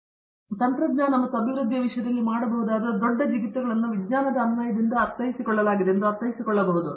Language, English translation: Kannada, Fine because, the really the large jumps that can be made in terms of technology and development can be understood only by the application of the science as if itÕs well understood